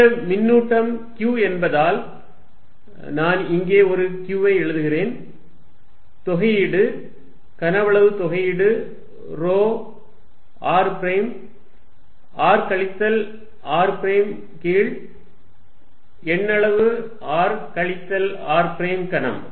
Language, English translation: Tamil, Since, this charge q, I will put a q here, integration volume integral rho r prime r minus r prime over modulus r minus r prime cubed